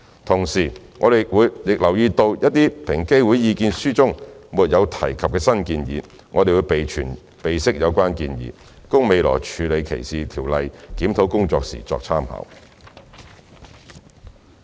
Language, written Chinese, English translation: Cantonese, 同時，我們亦留意到平機會的意見書中一些沒有提及的新建議，並備悉有關意見，供未來處理歧視條例檢討工作時參考。, Meanwhile we will take note of the new recommendations which were not found in the EOCs Submissions and consider them in the future DLR exercise